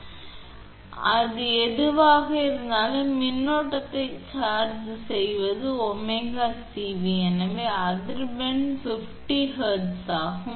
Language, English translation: Tamil, So whatever it is, then charging current is omega C into V, so it is at 50 Hertz